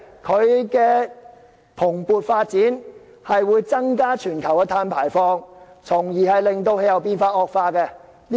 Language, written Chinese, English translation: Cantonese, 行業的蓬勃發展，會增加全球碳排放，從而令氣候變化惡化。, When this industry flourishes carbon emission increases and thereby worsening the climate change